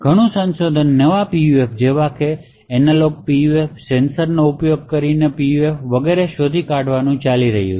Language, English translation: Gujarati, There is a lot of research which is going on to find actually new PUFs such as analog PUFs, PUFs using sensor and so on